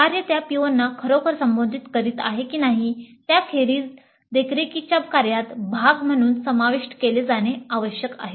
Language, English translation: Marathi, Whether the work is really addressing those POs or not, that must be included as a part of the monitoring activity